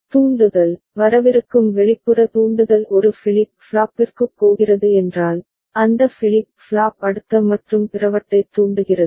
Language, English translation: Tamil, And if the trigger, the external trigger that is coming that is going to one of the flip flop, then that flip flop in turn triggers the next and so on and so forth ok